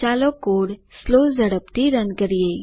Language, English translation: Gujarati, Lets Run the code in slow speed